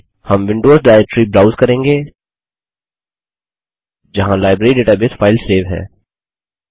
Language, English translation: Hindi, We will browse the Windows directory where the Library database file is saved